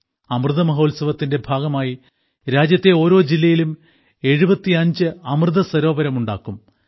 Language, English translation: Malayalam, During the Amrit Mahotsav, 75 Amrit Sarovars will be built in every district of the country